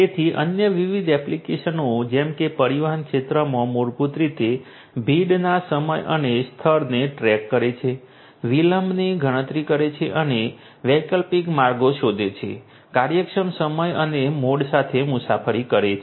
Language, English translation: Gujarati, So, different other applications such as in the transportation you know transportation sector basically tracking the time and place of congestion, computing the delay and finding out alternate routes, commuting with efficient time and mode